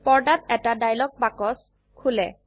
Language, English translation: Assamese, A dialog box opens on the screen